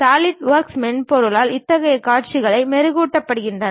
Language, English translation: Tamil, Such kind of visualization is polished possible by Solidworks software